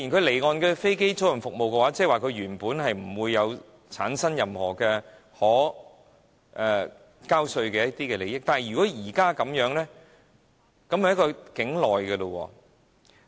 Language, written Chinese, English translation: Cantonese, 離岸的飛機租賃服務，即它原本不會產生任何可稅務的利益，但如果現時這樣的情況就是包含了境內的經營者了。, Offshore aircraft leasing businesses generated no assessable profit in Hong Kong before but the scope will now be extended to include onshore operators